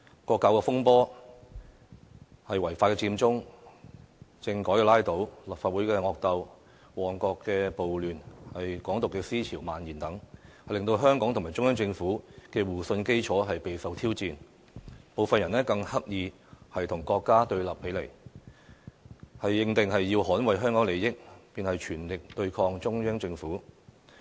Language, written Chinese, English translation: Cantonese, 國教風波、違法佔中、政改拉倒、立法會惡鬥、旺角暴亂、港獨思潮蔓延等，都令香港和中央政府的互信基礎備受挑戰，部分人更刻意與國家對立起來，認定要捍衞香港利益，便要全力對抗中央政府。, The national education dispute the illegal occupy movement the veto of the constitutional reform package the vehement battles in the Legislative Council the Mong Kok riots and the spread of Hong Kong independence had shown that the mutual trust between Hong Kong and the Central Government was being challenged . Some people even deliberately put themselves at odds with the state . They considered that in order to defend Hong Kongs interest they had devoted to the fight against the Central Government